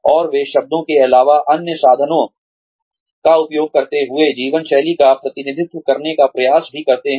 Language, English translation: Hindi, And, they also try and map, lifestyle representations, using tools other than words